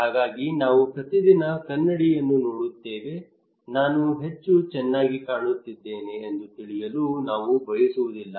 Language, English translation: Kannada, So we look into the mirror every time every day it is not that we want to know that how I am looking good